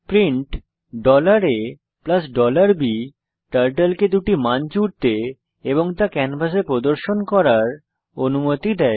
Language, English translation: Bengali, print $a + $b commands Turtle to add two values and display them on the canvas